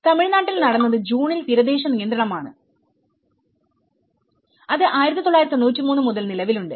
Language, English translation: Malayalam, In Tamil Nadu what happened was there is a coastal regulation June which has a blip, which has been from 1993